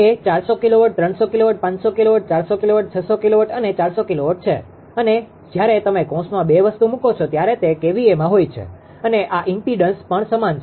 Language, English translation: Gujarati, That is 400 kilowatt, 300 kilowatt, 500 kilowatt, 400 kilowatt, 600 kilowatt and 400 kilowatt and when you put a two thing in bracket they are in kVA and this impedance is also same